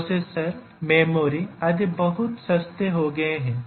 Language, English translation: Hindi, The processors, memory etcetera have become very cheap